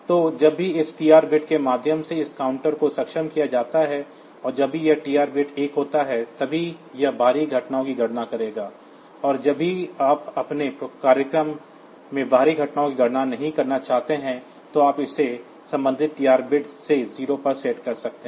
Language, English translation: Hindi, So, whenever this counter is enabled by means of this this TR bit and whenever this TR bit is 1 then only it will count the external events, and whenever if you do not want to count the external events in your program, you can set this to the corresponding TR bit to 0